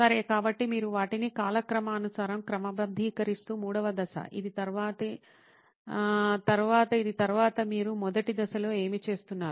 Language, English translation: Telugu, Okay, so, that is the third step you are arranging them in chronological order, this then next this, then next this so this is what you are doing in the first phase